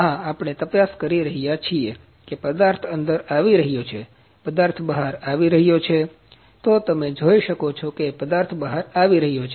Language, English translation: Gujarati, Yes, we have we are checking the material is coming in, material is coming out ,you can see the material is coming out